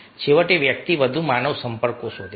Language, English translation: Gujarati, finally, individual seek more human contacts